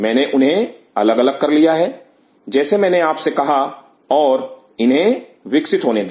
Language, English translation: Hindi, I have dissociated them as I mention you, and allow them to grow